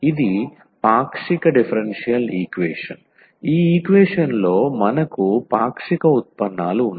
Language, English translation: Telugu, This is a partial differential equation; we have the partial derivatives in this equation